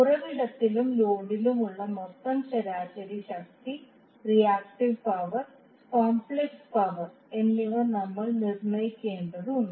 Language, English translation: Malayalam, We need to determine the total average power, reactive power and complex power at the source and at the load